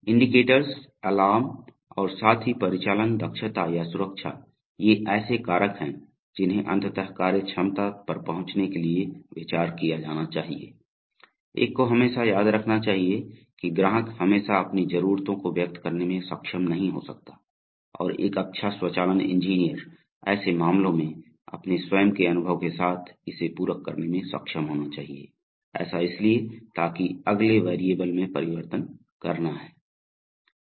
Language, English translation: Hindi, Indicators, alarms and as well as operational efficiency or safety, these are the factors which must be considered to finally arrive at the functionality, one must always remember that the customer may not always be able to express his or her needs and a good automation engineer should be able to supplement it with his own experience in such cases, so having done that the next step is to convert